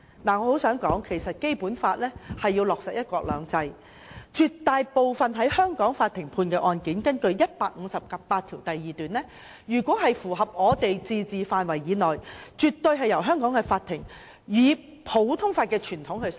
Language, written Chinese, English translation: Cantonese, 我很想說，《基本法》是為落實"一國兩制"而設，絕大部分在香港法庭判決的案件，根據《基本法》第一百五十八條第二款是屬於香港自治範圍以內，香港法庭絕對會按普通法的傳統審判。, I must say that the Basic Law is enacted for the implementation of one country two systems . The overwhelming majority of cases tried in Hong Kong courts are within the limits of the autonomy of Hong Kong as stipulated in Article 1582 of the Basic Law and Hong Kong courts naturally conduct trials in accordance with the common law tradition